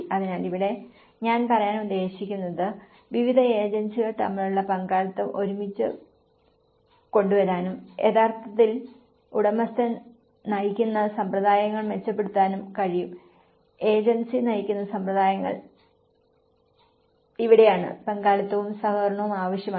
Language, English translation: Malayalam, So, here what I mean to say is the partnership between various agencies can bring together and can actually enhance the owner driven practices also, the agency driven practices this is where the participation is required and the cooperation is required